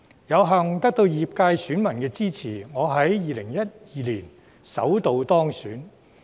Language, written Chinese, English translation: Cantonese, 有幸得到業界選民的支持，我在2012年首度當選。, Thanks to the support of my constituents I first got in at the election in 2012